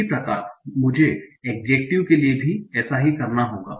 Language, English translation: Hindi, Similarly, I will have to do the same for adjective